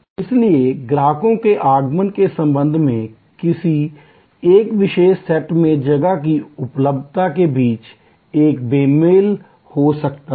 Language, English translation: Hindi, So, there can be a mismatch between the availability of space in a particular set of time with respect to arrival of customers